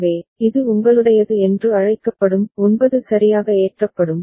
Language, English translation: Tamil, So, this will be having your what is that called 9 will get loaded right